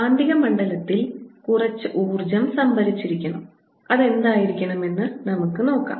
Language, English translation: Malayalam, there should be a some energy stored in the magnetic field, and what should it be